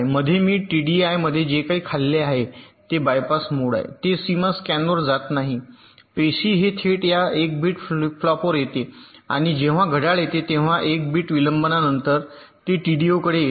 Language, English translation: Marathi, whatever i am feeding in t b i, it doesnt go to the boundary scan cells, it directly comes to this one bit flip flop and after a one bit delay, when a clock comes, it comes to t d o